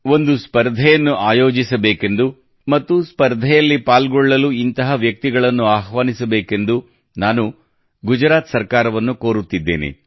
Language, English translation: Kannada, I request the Gujarat government to start a competition and invite such people